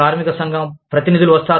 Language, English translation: Telugu, The labor union representatives come